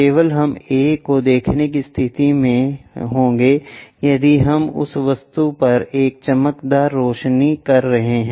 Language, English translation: Hindi, Only we will be in a position to see A if we are having a shining light on to that object